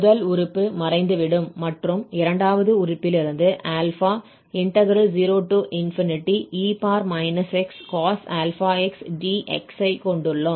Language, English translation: Tamil, So, the first term will disappear and then we have from the second term, alpha e power minus x cos alpha x dx